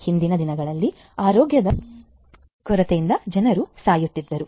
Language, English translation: Kannada, Earlier days people used to die due to lack of healthcare